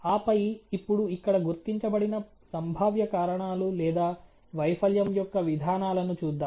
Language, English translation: Telugu, And then let us now look at the potential causes or the mechanisms of the failure which has been identified here